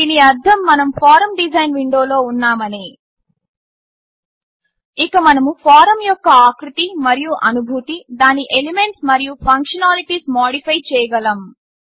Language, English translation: Telugu, This means that we are in the form design window And we can modify the look and feel of the form, and its elements as well as its functionalities